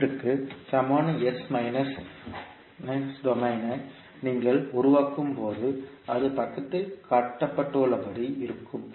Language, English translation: Tamil, So when you create the s minus domain equivalent of the circuit, it will look like as shown in the figure